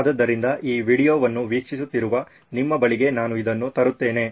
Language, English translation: Kannada, So, I am bringing this to you who are viewing this video